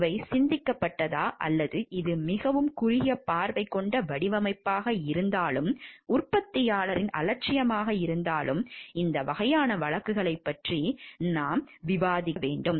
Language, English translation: Tamil, Whether these were thought of or it was a very short sighted design, negligence on the part of the manufacturer, these needs to be taken care of when we are discussing these type of cases